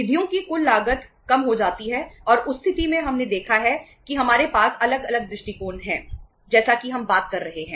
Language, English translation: Hindi, The total cost of the funds goes down and in that case we have seen that uh we have different approaches as we have been talking about